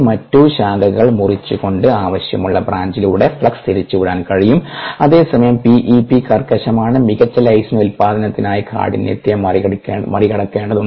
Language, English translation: Malayalam, it is possible to reroute the flux through a desire branch by cutting off the other branch, whereas p e p is rigid and rigidity needs to be overcome for better lysine production